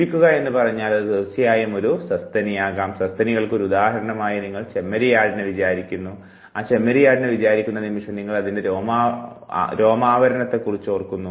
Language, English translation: Malayalam, Now you think if it is say, living then it will definitely which could be a mammal you think of one good example of a mammal, which is an animal, you think of sheep the moment you think of sheep you think it has fur the moment you think of you think other animals also have furs